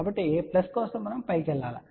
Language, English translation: Telugu, So, for plus we need to go up